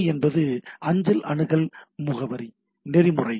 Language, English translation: Tamil, So, MTA and mail access protocol, right